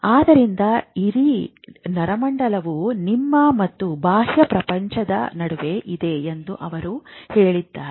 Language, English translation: Kannada, So, he said that this whole nervous system is between you and the object, the external word and you